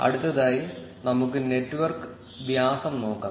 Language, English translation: Malayalam, Next, let us look at the network diameter